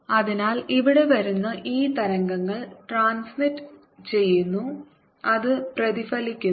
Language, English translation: Malayalam, this wave is coming, gets transmitted, gets reflected